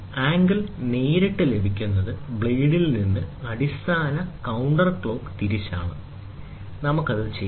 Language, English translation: Malayalam, The angle reads directly are those that are formed from the blade to the base counter clock wise, we do it